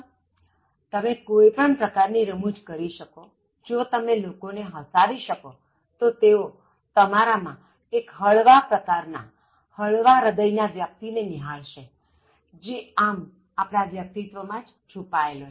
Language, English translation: Gujarati, If you are able to create some kind of humour, if you can make the people laugh so they will try to see one kind of light hearted personality, that is otherwise hidden